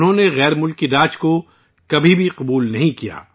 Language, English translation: Urdu, He never accepted foreign rule